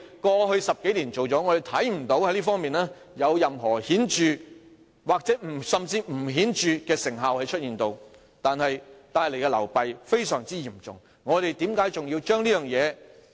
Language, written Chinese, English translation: Cantonese, 過去10多年，我們看不到這方面有任何顯著的成效，甚至連不顯著的成效也沒有，卻帶來非常嚴重的流弊。, In the past 10 - odd years we did not see any obvious effect in this regard . Not even was there any subtle effect . Yet it has brought forth very serious drawbacks